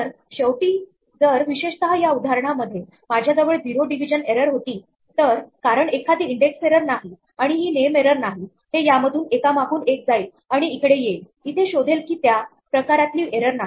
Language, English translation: Marathi, So, finally, if I had only a zero division error in this particular example then, since it is not an index error and it is not a name error, it would try to go through these in turns that would come here find this is not a type of error